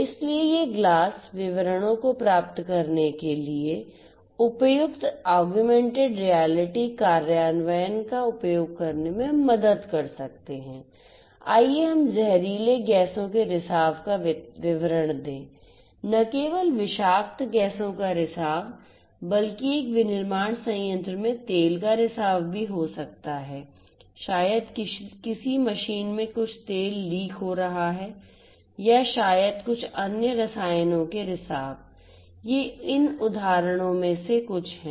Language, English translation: Hindi, So, these glasses could help using suitable augmented reality implementations to get details of let us say details of leakage of toxic gases toxic gases, leakage of not just toxic gases, but also may be leakage of oil in a manufacturing plant maybe some machine some oil is getting leaked and so on or maybe some other chemicals leakage of other chemicals these are some of these examples